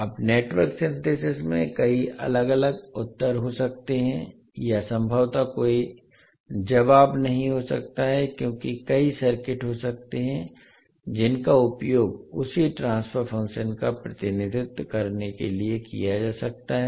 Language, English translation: Hindi, Now in Network Synthesis there may be many different answers to or possibly no answers because there may be many circuits that may be used to represent the same transfer function